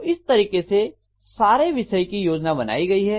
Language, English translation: Hindi, So that is the way the entire lecture is going to be planned, okay